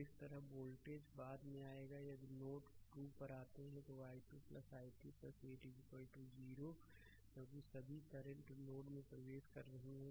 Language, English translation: Hindi, And similarly voltage will come later similarly if you come to node 2, then i 2 plus i 3 plus 8 is equal to 0 because all current are entering into the node